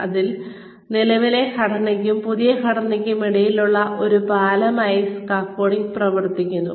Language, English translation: Malayalam, So, scaffolding acts as a bridge, between the current structure and the new structure